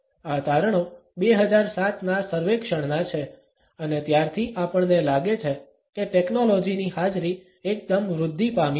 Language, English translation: Gujarati, These findings are from a 2007 survey and since that we find that the presence of technology has only been enhanced